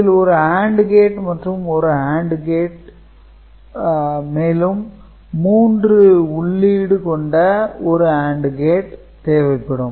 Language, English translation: Tamil, So, this is one AND gate this is one AND gate two input and three input AND gates